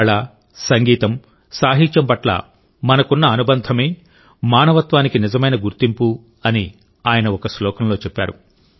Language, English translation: Telugu, In one of the verses he says that one's attachment to art, music and literature is the real identity of humanity